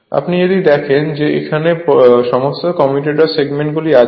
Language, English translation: Bengali, If you look into this that all commutator segments are insulated right